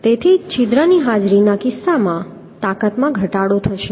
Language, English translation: Gujarati, that is why the strength will be decreased in case of presence of hole